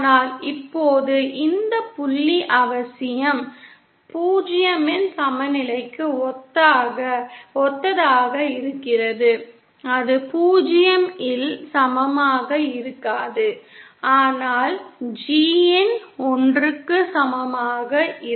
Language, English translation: Tamil, But now this point necessarily doesnÕt correspond to 0 succeptance that is b in may not be equal to 0 but G in is equal to 1